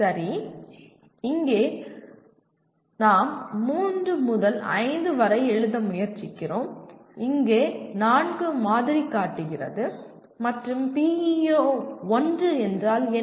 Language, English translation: Tamil, Okay here what are we trying to we need to write three to five, here the sample shows four and what is PEO 1